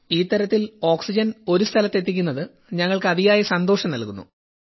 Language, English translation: Malayalam, And wherever we deliver oxygen, it gives us a lot of happiness